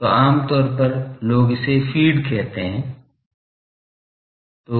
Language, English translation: Hindi, So, generally you people feed it that this